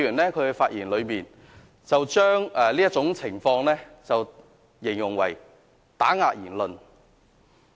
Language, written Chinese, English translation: Cantonese, 此外，朱凱廸議員在發言時將這種情況形容為打壓言論。, In addition Mr CHU Hoi - dick described this situation as suppression of freedom of speech